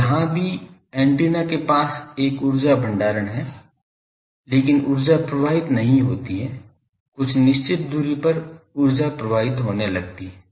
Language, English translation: Hindi, So, here also near the antenna there is a energy storage, but that energy is not flowing on the after certain distance that energy starts flowing ok